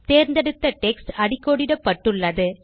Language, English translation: Tamil, You see that the selected text is now underlined